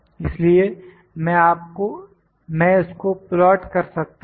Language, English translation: Hindi, So, I can just plot this